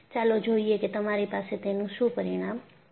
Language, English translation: Gujarati, Let us see what you have as the result